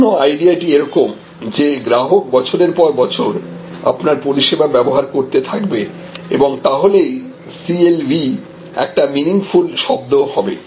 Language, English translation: Bengali, So, the whole idea is to have a customer continuously utilizing your services year after year and that is when this CLV becomes a meaningful term a CRM